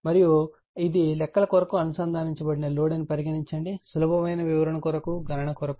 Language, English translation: Telugu, And this is the load connected for the sake of our calculations easy calculations are for the sake of explanation